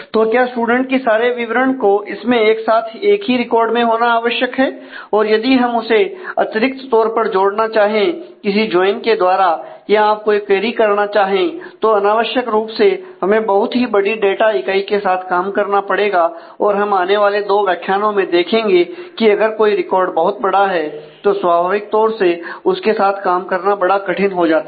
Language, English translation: Hindi, Is it necessary to have all the students details with that one that make every record very heavy and if we want to extra connect with that do some join or if you want to do some query unnecessarily we will have to deal with very large units of data and as we will see in the next couple of modules that if a record becomes larger dealing with it become naturally becomes more cumbersome